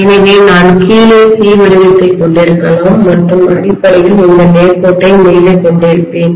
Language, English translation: Tamil, So I may have the C shape at the bottom and I would have basically this straight line at the top, are you getting my point